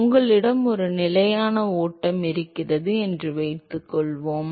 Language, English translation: Tamil, Suppose you have a steady flow ok